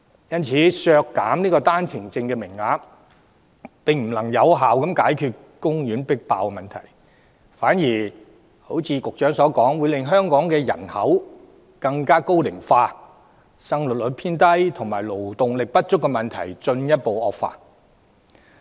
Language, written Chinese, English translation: Cantonese, 因此，削減單程證名額並不能有效解決公立醫院擠迫問題，反而如局長所說，會令香港人口高齡化、生育率偏低及勞動力不足的問題進一步惡化。, Thus reducing OWP quota cannot effectively resolve the problem of overcrowdedness in public hospitals . Conversely as indicated by the Secretary the reduction will worsen population ageing the relatively low fertility rate and insufficient labour supply in Hong Kong